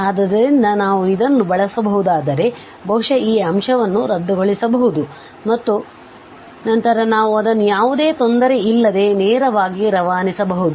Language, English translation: Kannada, So, if we can use this perhaps this factor will be cancelled and then we can pass it straight away the limit without any difficulty